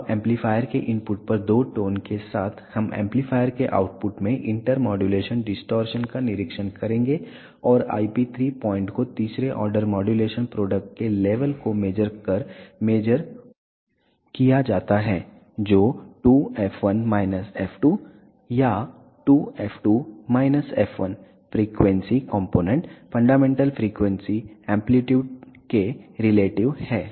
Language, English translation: Hindi, Now, with the two tones at the input of the amplifier we will observe the inter modulation distortion at the output of the amplifier and the IP 3 point is measured by measuring the level of the third order modulation products which is twice f 1 minus f 2 or twice f 2 minus f 1 frequency components relative to the fundamental frequency amplitude